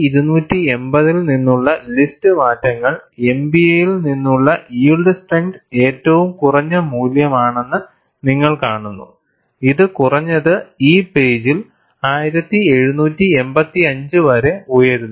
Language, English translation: Malayalam, You see the list changes; from 1280 is the least value of yield strength in MPa, and it goes up to 1785 at least, in this page